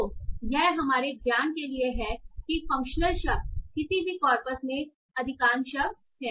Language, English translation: Hindi, So this is as per our knowledge that functional words are the majority of the words in any of the corpus